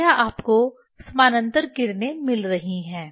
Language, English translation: Hindi, Then this you are getting the parallel rays